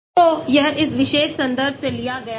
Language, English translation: Hindi, this is taken from this particular reference